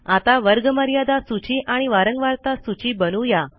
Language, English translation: Marathi, Let us create the class boundary list and the frequency list